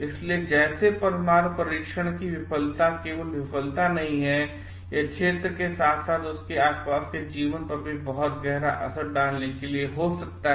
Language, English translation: Hindi, So, like failure of a nuclear test is not just a failure, it may have for reaching impact of the area as well as in the life surrounding it